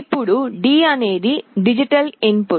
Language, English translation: Telugu, Now D is a digital input